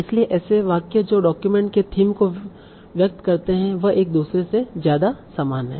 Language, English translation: Hindi, So sentences that convey the theme of the document are more similar to each other